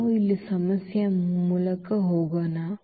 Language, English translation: Kannada, So, let us go through the problem here